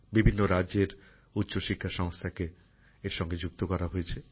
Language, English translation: Bengali, Higher educational institutions of various states have been linked to it